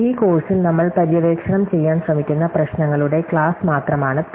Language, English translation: Malayalam, So, P is just the class of problems which we have been trying to explore in this course